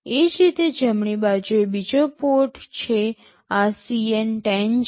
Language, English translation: Gujarati, Similarly, on the right side there is another port this is CN10